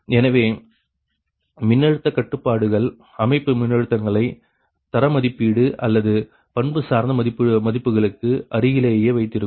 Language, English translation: Tamil, so the voltage constraint will keep the system voltages near the ah, near the rated or nominal values